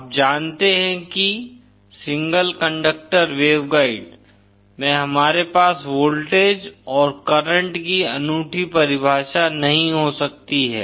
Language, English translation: Hindi, You know that in a single conductor waveguide we cannot have a unique definition of voltage and current